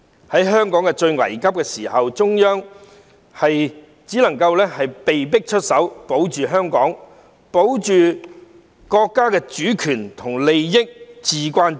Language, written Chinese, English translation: Cantonese, 在香港最危急的時候，中央只能夠被迫出手，保護香港、保護國家的主權和利益，至關重要。, In the most critical time for Hong Kong the Central Authorities were forced to take actions to protect Hong Kong and the sovereignty and interests of the country which is of paramount importance